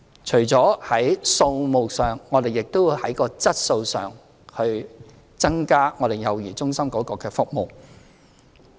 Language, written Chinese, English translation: Cantonese, 除在數目上外，我們亦會在質素方面提升幼兒中心的服務。, Apart from quantity we will also enhance the quality of child care centre services